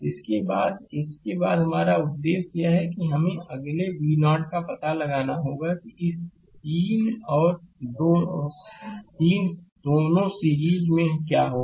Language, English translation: Hindi, So, after this after this our objective is that we have to find out v 0 right next what will happen this 3 this 3 and 3 both are in series